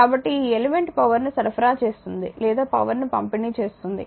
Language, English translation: Telugu, So, this element is supplying power right or delivering power right